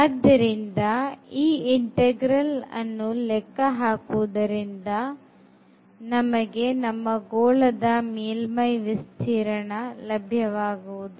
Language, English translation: Kannada, So, that is the surface we want to now compute this double integral which will give us the surface area of the sphere